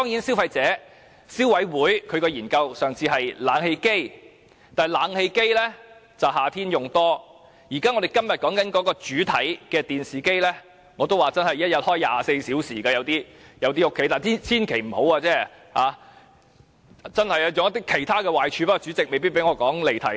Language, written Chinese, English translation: Cantonese, 消委會上次是研究冷氣機的，但冷氣機只會在夏天使用，但今天的主題電視機，在某些家庭卻是每天24小時長時間開啟的——大家千萬不要這樣做，因為有很多壞處，但主席未必會讓我解釋，因為有可能離題。, CC conducted a study on air conditioners last time . While air conditioners are only used in summer televisions the theme of this discussion are turned on around the clock in some families―please do not do so because much harm will be caused yet the President may not let me explain as I may have digressed